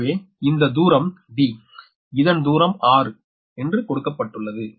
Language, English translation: Tamil, it is given as d, right, so this distance is d is given, that is a six meter